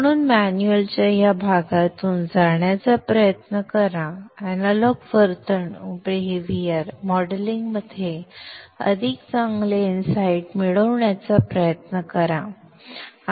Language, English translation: Marathi, So try to go through this part of the manual for you to get much better inside into analog behavioral modeling